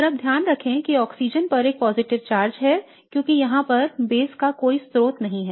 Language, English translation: Hindi, And now keep in mind there is a positive charge in the oxygen because there is no source of base over here